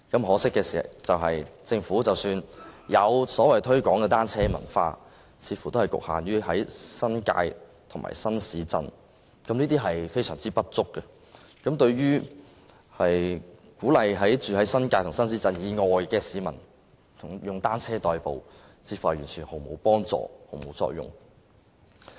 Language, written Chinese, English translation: Cantonese, 可惜的是，即使政府有所謂推廣單車文化，似乎也只局限於新界和新市鎮，非常不足夠，對於鼓勵居於新界及新市鎮以外的市民以單車代步，似乎毫無幫助。, Regrettably even if the Government has promoted the culture of cycling so to speak it seems to be confined to the New Territories and new towns . It is far from adequate and seems to be of no help to encouraging people living outside the New Territories and new towns to commute by bicycles